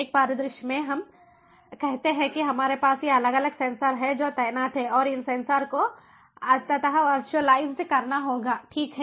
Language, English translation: Hindi, in one scenario, let us say, we have, we have these different sensors that are deployed and these sensors finally have to be virtualized, right, virtualized